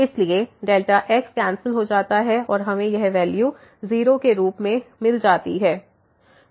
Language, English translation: Hindi, So, delta gets cancel and we will get this value as 0